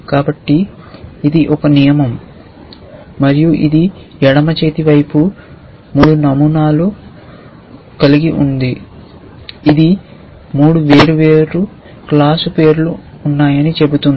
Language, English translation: Telugu, So, this is one rule and it has 3 patterns on the left hand side which says that there are 3 different class names